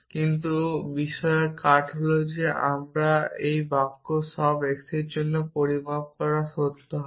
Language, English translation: Bengali, But the cuts of the matter are that a sentence quantified by for all x would be true